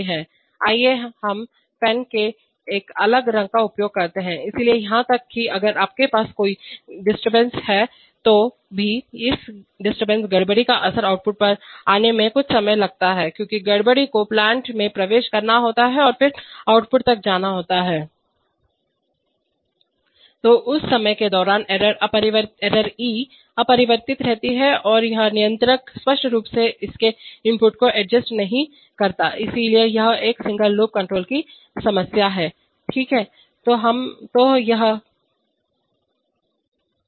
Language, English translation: Hindi, Let us use a different color of the pen, so even if you have a disturbance d changing here, the effect of this disturbance to come on the output take some time because the disturbance has to enter through the plant and then travel to the output, so during that time the error e remains unchanged and the controller does not obviously adjust its input, so this is a, this is a problem of single loop control, okay